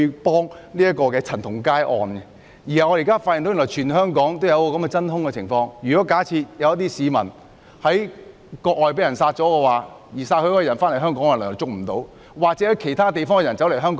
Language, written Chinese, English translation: Cantonese, 不單為了陳同佳案，我們亦發現現時出現真空情況，假設有市民在國外被殺，而兇手回到香港，當局便無法作出拘捕。, The amendment is proposed not merely because of the CHAN Tong - kai case but also because we find that there is a legal vacuum . If a Hong Kong citizen was murdered overseas and the murderer has returned to Hong Kong the authorities cannot make the arrest